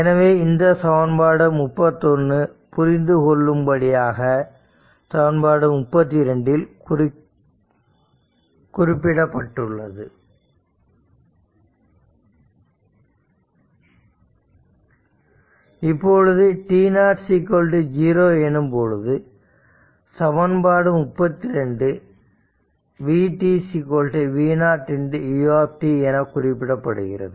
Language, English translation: Tamil, So, let me clear it and at t is if t is equal to 0, if t 0 sorry if t 0 is equal to 0 then this 32 can be written as v t is equal to v 0 into u t right